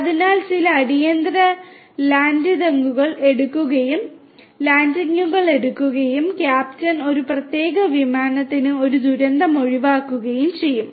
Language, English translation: Malayalam, So, that some emergency landing could be taken and a disaster would be avoided for a particular aircraft by the captain